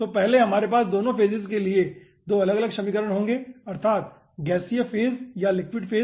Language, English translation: Hindi, so first we will be having 2 different equations for both the phases